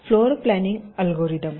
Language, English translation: Marathi, ok, so, floor planning algorithms